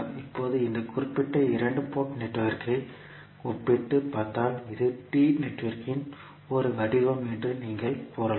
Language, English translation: Tamil, Now, if you compare this particular two port network, you can say it is a form of T network